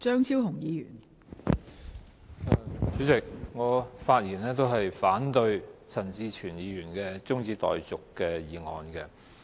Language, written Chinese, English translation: Cantonese, 代理主席，我發言反對陳志全議員的中止待續議案。, Deputy President I speak to oppose Mr CHAN Chi - chuens adjournment motion